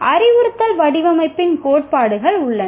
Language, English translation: Tamil, There are principles of instructional design